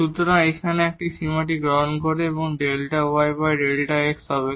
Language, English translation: Bengali, So, by taking this limit here so, this will be delta y over delta x